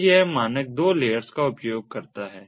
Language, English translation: Hindi, so this standard uses two sub layers